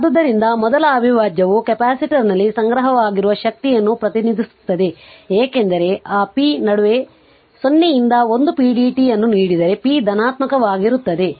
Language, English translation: Kannada, So, thus the first integral represents energy stored in the capacitor because, if you look into that it is given 0 to 1 p dt that is in between that p is positive right